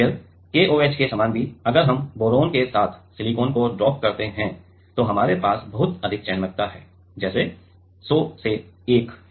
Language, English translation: Hindi, Then similar to KOH also; if we dope the silicon with boron then also we have a very high selectivity like 100 is to 1